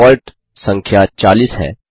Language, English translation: Hindi, The default number is 40